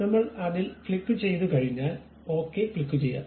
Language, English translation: Malayalam, Once we click that, we can click Ok